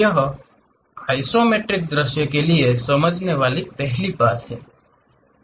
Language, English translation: Hindi, That is the first thing for isometric view